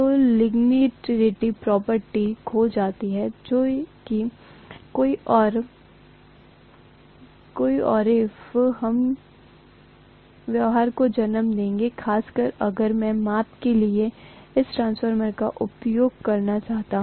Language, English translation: Hindi, So the linearity property is lost which will give rise to several nonlinear behavior especially if I want to use this transformer for measurement